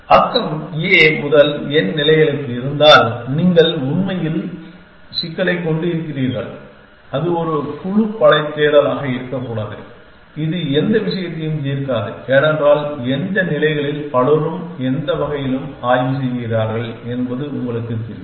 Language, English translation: Tamil, If the neighborhood has to a to n states then you have actually the problem and may be not a group force search which is no point solving because you know to which instates part to many inspect any way